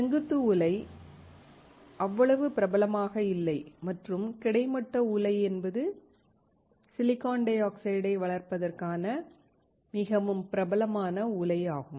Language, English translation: Tamil, Vertical furnace is not so popular and horizontal furnace is the extremely popular furnace to grow the silicon dioxide